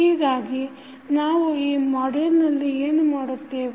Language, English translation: Kannada, So, what we will do in this module